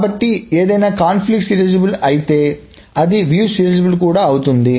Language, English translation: Telugu, So, if something is conflict serializable, it must be view serializable